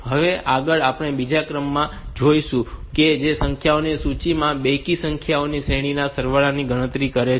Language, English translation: Gujarati, next we will look into another program that calculates the sum of a series of even numbers from the list of numbers